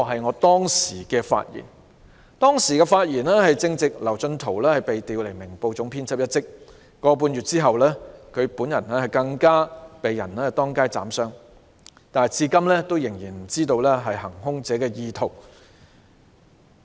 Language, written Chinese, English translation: Cantonese, 我發言的當時，正值劉進圖被調離《明報》總編輯一職，而一個半月後，他更被人當街斬傷，但至今仍無法得知行兇者的意圖。, When the speech was given LAU Chun - to had just been transferred from the post of Chief Editor of Ming Pao; a month and a half later he was even slashed and wounded in the street but the intention of the attackers is still unknown today